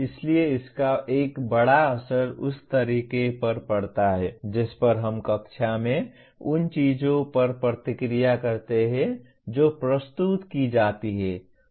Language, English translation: Hindi, So this has a major impact on the way we react in a classroom to the things that are presented